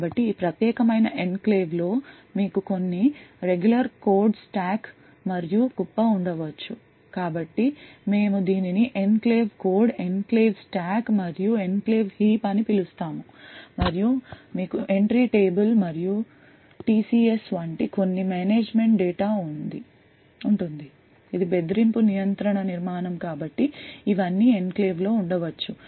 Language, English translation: Telugu, So within this particular enclave you could have some regular code stack and heap so we call this as the enclave code, enclave stack and the enclave heap and you would have some management data such as the entry table and TCS which is a Threat Control Structure so all of this can be present in an enclave